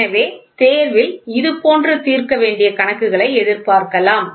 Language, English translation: Tamil, So, you can expect problems like this in the examination to be solved